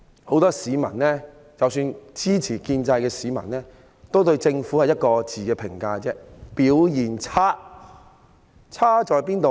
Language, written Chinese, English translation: Cantonese, 很多市民，即使是支持建制派的市民，對政府的評價只有一個，就是表現差。, To many members of the public and even those supporters of the pro - establishment camp they have only one comment on the Government and that is the Governments performance is bad